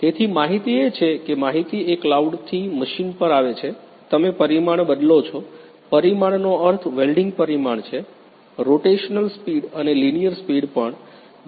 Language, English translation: Gujarati, So, data is that information is information comes from the cloud to the machine, you change the parameter; parameter means the welding parameter, the rotational speed and also the linear speed so that the different case …